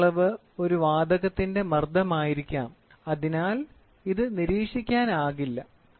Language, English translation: Malayalam, The measured quantity may be pressure of a gas and therefore, may not be observable